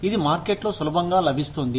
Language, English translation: Telugu, Easily available in the market